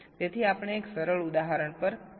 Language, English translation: Gujarati, so we shall be working out a simple example